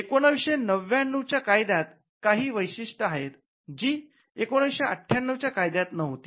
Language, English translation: Marathi, The 1999 act has certain features which were not there in the 1958 act